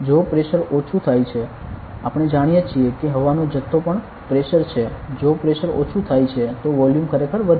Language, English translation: Gujarati, If pressure decreases we know that the volume of air also the pressure if the pressure decreases then the volume increase ok